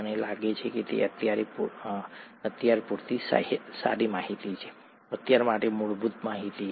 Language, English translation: Gujarati, I think that is good enough information for now, fundamental information for now